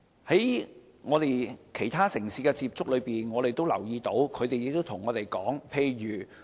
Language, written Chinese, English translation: Cantonese, 在我們與其他城市的接觸中，我們留意到一些情況，他們也曾與我們分享。, Through contact with our counterparts in other cities we have got some observations and they have also shared theirs with us